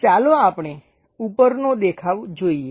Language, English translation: Gujarati, Let us look at top view